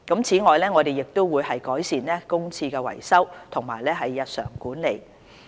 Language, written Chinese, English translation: Cantonese, 此外，我們亦會改善公廁的維修及日常管理。, In addition we will improve the repairs and ongoing management of public toilets